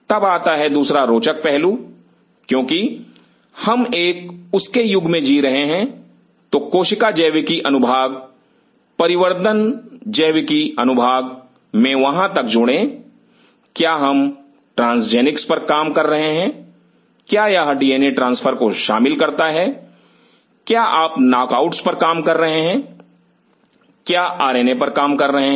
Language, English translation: Hindi, Then comes another interesting aspect, since we are living in an era of, so add up to that in cell biology section develop biology section, are we working on transgenics does it involves d n a transfer are you working on knockouts are you working on R N A I